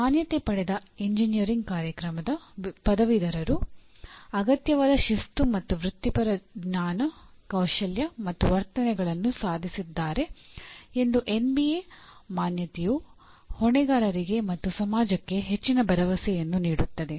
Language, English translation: Kannada, Accreditation by NBA assures the stakeholders and society at large that graduates of the accredited engineering program have attained the required disciplinary and professional knowledge skills and attitudes